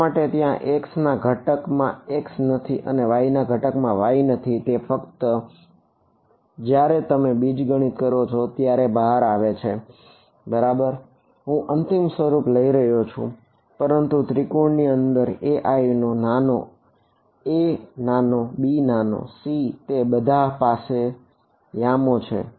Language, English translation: Gujarati, Why is there no x in the x component and no y in the y component that is just how it turns out once you do the algebra ok, I am writing down the final form, but if you I mean these a i’s small a small b small c they all have the cord coordinates of the triangle inside it right